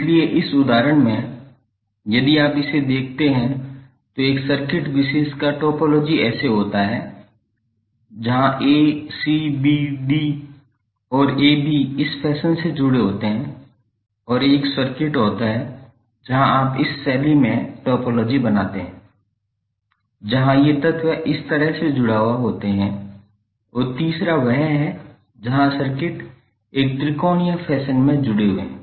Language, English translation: Hindi, So in this example if you see this the topology of one particular circuit is like this where a, c, b, d and a b are connected in this fashion and there is another circuit where you create the topology in this fashion where these elements are connected like this and third one where the circuits are connected in a triangular fashion